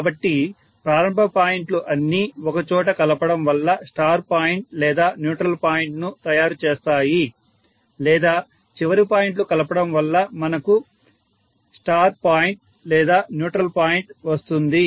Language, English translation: Telugu, So that the beginnings connected together will make the star point or neutral point or the ends connected together will make the star to point or neutral point